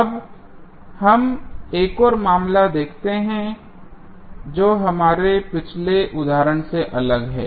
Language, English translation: Hindi, Now, let us see another case which is different from our previous example